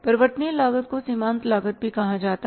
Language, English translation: Hindi, Variable cost is called as the marginal cost also